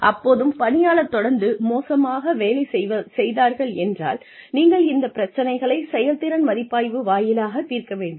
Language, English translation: Tamil, If the employee, still continues to perform poorly, then you may want to address these issues, via a performance review